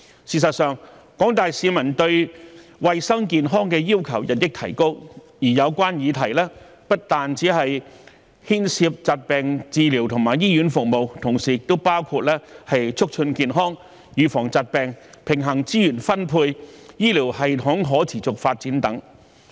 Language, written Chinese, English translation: Cantonese, 事實上，廣大市民對衞生健康的要求日益提高，而有關議題不但牽涉疾病治療和醫院服務，同時亦包括促進健康、預防疾病、平衡資源分配及醫療系統可持續發展等。, As a matter of fact the general public have increasingly high expectations for healthcare and the related issues not only involve disease treatment and hospital services but also include health promotion disease prevention balanced resource allocation and the sustainable development of the healthcare system